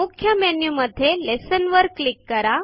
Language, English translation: Marathi, In the Main menu, click Lessons